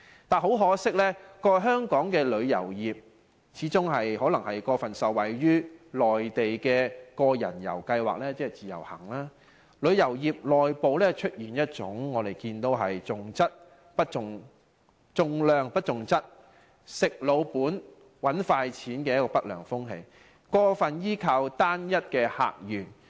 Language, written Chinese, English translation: Cantonese, 但很可惜，過去香港旅遊業始終過分受惠於內地個人遊計劃，旅遊業內部出現一種重量不重質，"食老本"、"搵快錢"的不良風氣，過分依靠單一客源。, Unfortunately the over - reliance of Hong Kongs tourism industry on the Individual Visit Scheme IVS in the past has resulted in an undesirable atmosphere within the tourism industry which emphasizes quantity over quality resting on laurels and making quick money as well as relying too heavily on a single source of visitors